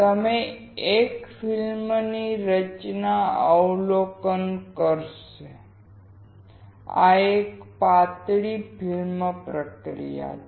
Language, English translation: Gujarati, You will observe a film formation; this is a thin film technology